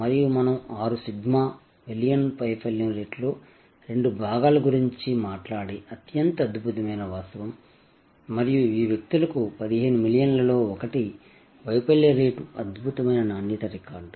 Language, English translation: Telugu, And the most amazing fact that we talk about six sigma, two parts in a million sort of failure rate and this people have one in 15 million failure rate, fantastic quality record